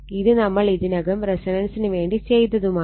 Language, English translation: Malayalam, Already we have done it for resonance